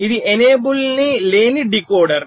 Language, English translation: Telugu, this is an enable, less decoder